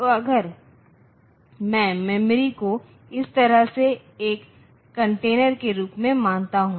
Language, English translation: Hindi, So, if I consider memory as a container like this